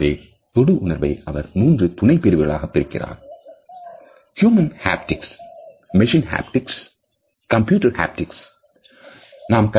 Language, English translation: Tamil, So, he has subdivided haptics into three subcategories Human Haptics, Machine Haptics and Computer Haptics